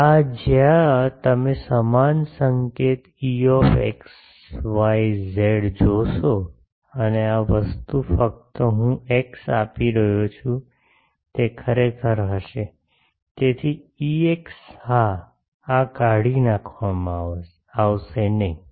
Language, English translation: Gujarati, where you will see same notation E x y z and this thing only I am giving a sorry k x might be really, so E x yes, no this will be removed